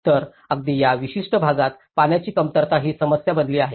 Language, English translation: Marathi, So, it has become even the water scarcity is the issue in that particular region